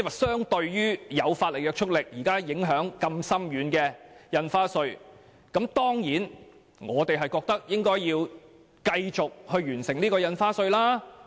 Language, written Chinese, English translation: Cantonese, 相對於現時有法律約束力且影響深遠的印花稅法案，我們當然認為應該要繼續完成《條例草案》的審議工作。, As a comparison the current bill on stamp duty has legal effect and far - reaching impacts . We certainly think that the scrutiny of the Bill should continue